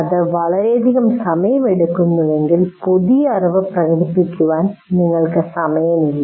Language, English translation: Malayalam, If it takes too long then you don't have time for actually demonstrating the new knowledge